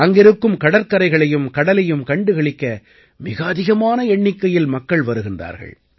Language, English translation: Tamil, A large number of people come to see the beaches and marine beauty there